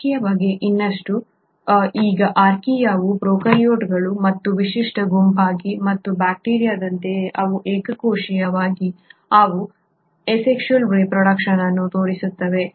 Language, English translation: Kannada, More about Archaea; now Archaea is another unique group of prokaryotes and like bacteria, they are single celled, they do show asexual reproduction